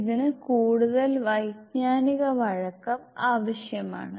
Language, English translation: Malayalam, This requires more cognitive flexibility